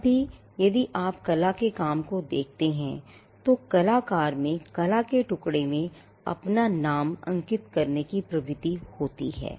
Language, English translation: Hindi, Even now, if you look at a work of art, there is a tendency for the artist to sign his or her name in the piece of art